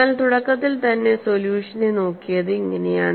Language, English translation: Malayalam, But this is how the initially the solution was looked at